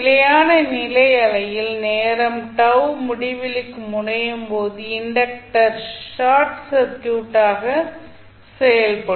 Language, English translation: Tamil, At steady state condition say time t tends to infinity what will happen that the inductor will act as a short circuit